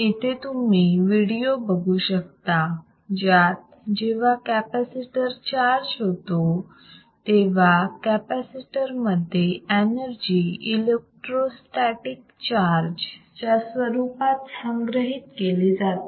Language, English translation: Marathi, Now you can see here, the video, right when the capacitor gets charged, the energy gets stored in the capacitor as electro static charge ok